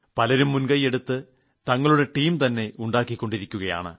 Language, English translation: Malayalam, Many people are taking an initiative to form their own teams